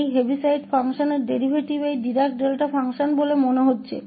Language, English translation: Hindi, So, the derivative of this Heaviside function seems to be this Dirac Delta function